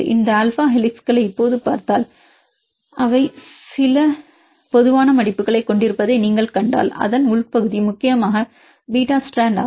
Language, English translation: Tamil, If you see they having the some common fold if you see these alpha helices now and then you can see the inner part it is mainly beta strand